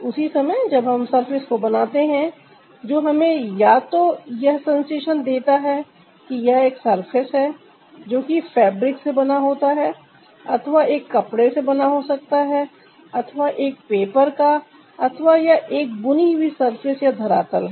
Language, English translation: Hindi, when we create a surface that gives us a sensation of ah, either this is a surface which is ah made out of a fabric, or ah maybe a cloth or a paper, or this is a woven surface